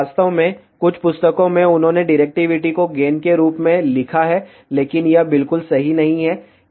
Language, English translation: Hindi, In fact, in some of the books, they have written directivity as gain, but that is not correct at all